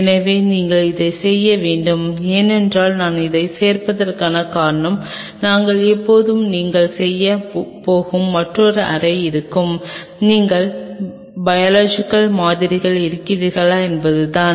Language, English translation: Tamil, So, you have to because the reason why I am adding up to this we will always thing will have another room where you are going to do, it whether the thing is that you are biological samples are there